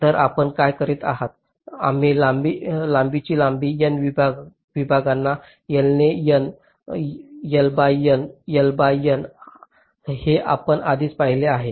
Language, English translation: Marathi, we break up a long length of, of length l, into n segments, l by n, l by n, l by n